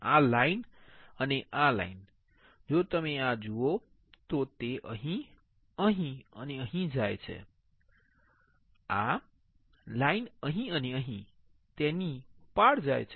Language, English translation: Gujarati, This line and this line right, if you see this one it goes here, here and here; this line goes across it here and here, right